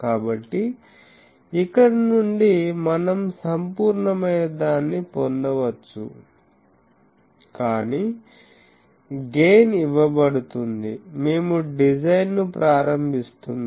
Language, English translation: Telugu, So, from here we can get what is the absolute, but gain is given in so, we are starting the design